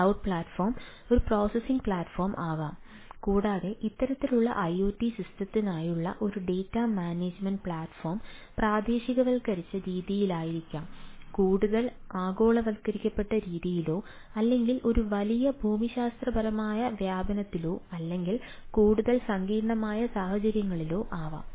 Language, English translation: Malayalam, so the cloud platform can very well ah be a processing platform as well as data management platform for this type of iot systems, may be in a localized manner, may be more globalized manner or on a larger geographical spread, ah or more complex type of cuss